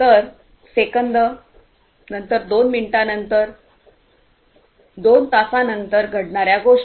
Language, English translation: Marathi, So, seconds later, two minutes later, two hours later, things that can happen